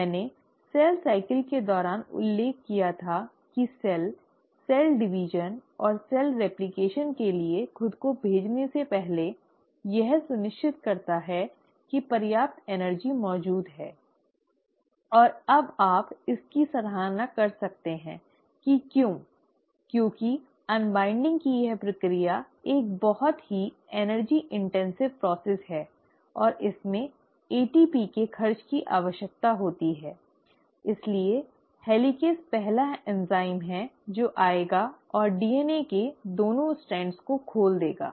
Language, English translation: Hindi, I mentioned to you during cell cycle that before a cell commits itself to cell division and cell replication it ensures that sufficient energy is there and now you can appreciate why because this process of unwinding is a pretty energy intensive process and it does require expenditure of ATP, so helicase is the first enzyme which will come and open up the 2 strands of DNA